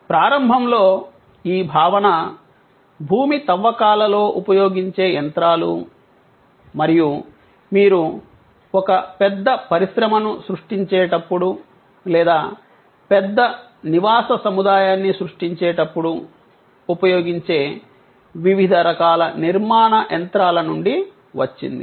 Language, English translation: Telugu, Initially, this concept came about from industries like earth moving machinery in a excavation and various other kinds of construction machinery that are used, when you are creating a large plant or creating a large residential complex